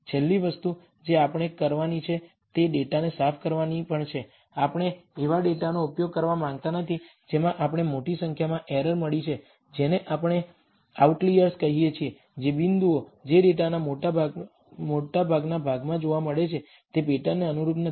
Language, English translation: Gujarati, The last thing that we need to do is also clean out the data, we do not want to use data that have got large errors what we call outliers, points which do not conform to the pattern that is found in the bulk of the data